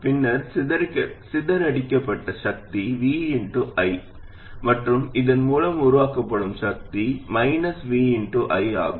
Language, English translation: Tamil, Then the power dissipated is v times i, and the power generated by this would be minus v times i